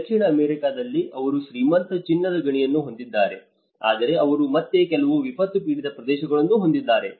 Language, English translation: Kannada, In South America, they have rich gold mines, but they have again some disaster affected areas